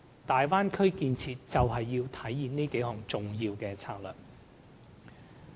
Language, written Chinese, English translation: Cantonese, 大灣區建設就是要實行這幾項重要策略。, The Bay Area project is precisely meant to achieve these key objectives